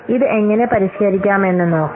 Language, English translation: Malayalam, Now let's see how this can be refined